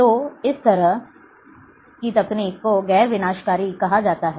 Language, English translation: Hindi, So, this kind of technique is called non destructive